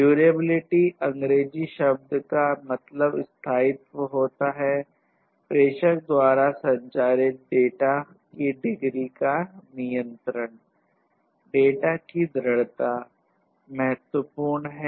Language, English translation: Hindi, Durability as this English term suggests; it talks about the control of the degree of data persistence transmitted by the sender